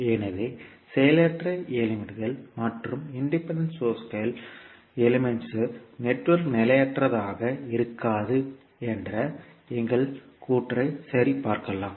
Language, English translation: Tamil, So let us verify our saying that the passive elements and independent sources, elements network will not be unstable